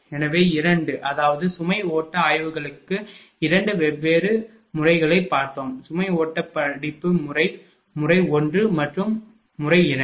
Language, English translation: Tamil, So, 2; that means, for load flow studies we have seen the 2 different 2 different methods, right for load flow studies method 1 and method 2 one thing